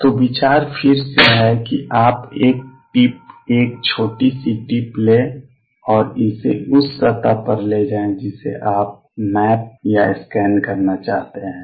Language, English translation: Hindi, So, ideas is again that you take a tip, a small tip and make it go over a surface that you want to map or scan